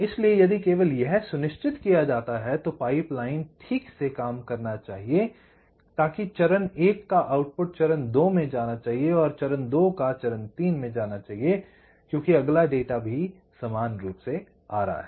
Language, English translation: Hindi, so if this is ensured, only then the pipelining should work properly that the, the output of stage one should go to stage two, stage two go to stage three, because the next data is also coming parallely